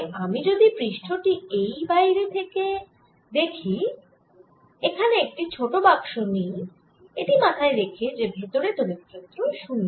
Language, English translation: Bengali, so if i look at the surface out here and make a very small box, keep in mind that field inside the metal is zero